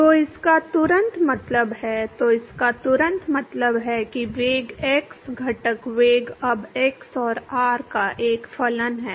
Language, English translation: Hindi, So, this immediately means; so, this immediately implies that the velocity x component velocity is now a function of both x and r